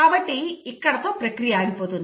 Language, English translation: Telugu, So here the process will stop